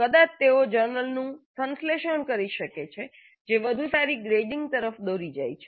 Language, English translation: Gujarati, They might synthesize a journal which leads to better grading